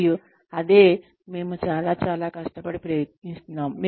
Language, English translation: Telugu, And, that is what, we try very very, hard to do